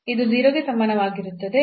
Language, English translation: Kannada, So, we have the 0